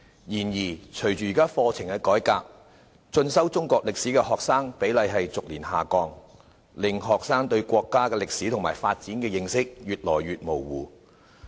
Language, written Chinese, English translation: Cantonese, 然而隨着課程改革，進修中國歷史科的學生比例逐年下降，令學生對國家歷史及發展的認識越來越模糊。, However with the introduction of the curriculum reform the proportion of students taking the subject of Chinese History has decreased year after year . As a result their understanding of the history and developments of our country has become increasingly blurred